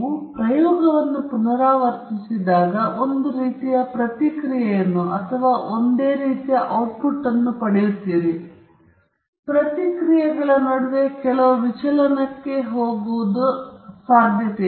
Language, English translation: Kannada, It is very unlikely that when you repeat the experiment you will get the identical response or the identical output, there is going to some amount of deviation between the responses